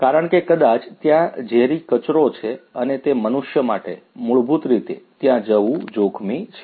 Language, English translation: Gujarati, Maybe because there are toxic wastes and it is dangerous for the human beings to basically go over there